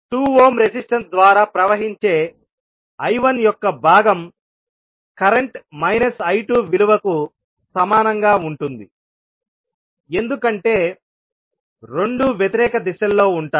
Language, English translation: Telugu, So the component of I 1 which is flowing through 2 ohm resistance will be equal to the value of current I 2 with negative sign because both would be in opposite directions